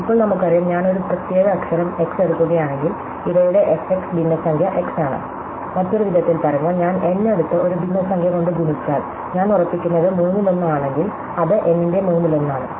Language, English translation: Malayalam, Now, we know that if I take a particular letter x, then f x fraction of these are x, so in other words, if I take n and I multiply by a fraction is say, if I fix is say one third, then one third of n